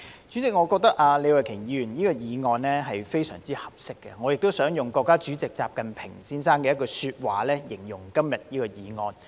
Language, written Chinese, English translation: Cantonese, 主席，我認為李慧琼議員的議案正合時宜，而我亦想用國家主席習近平的講話來形容今天這項議案。, President I think the timing of Ms Starry LEEs motion is just right and I wish to describe her motion today with a remark of President XI Jinping